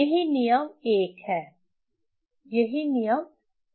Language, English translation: Hindi, That's what the rule 1